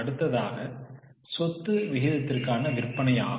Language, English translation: Tamil, Now next one is sale to assets ratio